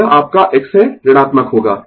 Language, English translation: Hindi, So, it is your X will be negative